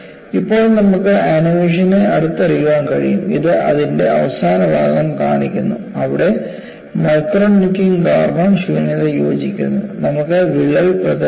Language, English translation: Malayalam, So, what we will look at now is, we will have a closer look at the animation; this shows the last part of it, where voids are joined due to micro necking, and you have a crack propagation, the process starts here